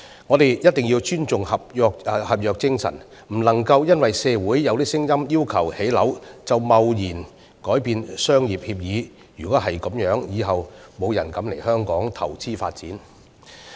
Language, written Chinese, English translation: Cantonese, 我們一定要尊重合約精神，不能因社會有聲音要求建屋便貿然改變商業協議。若然如此，日後再沒有人敢來港投資發展。, We must respect the spirit of contract refraining from arbitrarily changing a commercial agreement just because there are calls for housing construction in the community which will otherwise scare off investors from coming to Hong Kong for development in the future